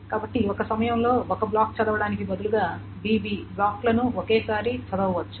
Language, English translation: Telugu, So then instead of reading one block at a time, what can be done is that BB blocks can be read each time